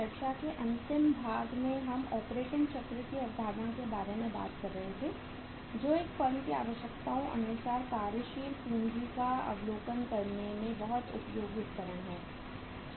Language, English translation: Hindi, So in the last part of discussion we were talking about the concept of operating cycle which is very useful tool in assessing the or estimating the working capital requirements of a firm